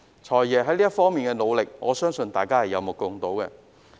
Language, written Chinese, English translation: Cantonese, "財爺"在這方面的努力，我相信大家都有目共睹。, I believe everyone can see for themselves FSs efforts in this regard